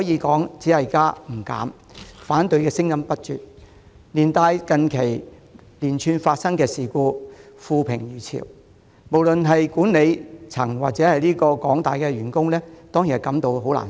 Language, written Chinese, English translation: Cantonese, 港鐵加價招來反對聲音不絕，加上近期發生連串事故，令港鐵負評如潮，不論是管理層或廣大員工當然也感到難受。, The fare increase which sparked endless objections coupled with the recent spate of incidents which attracted widespread criticisms against MTRCL has certainly put its Management or staff in general in an unpleasant state of mind